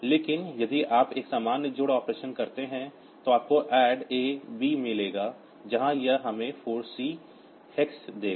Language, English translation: Hindi, But if you do a normal addition operation then you will get add A B where it will give us 4 C hex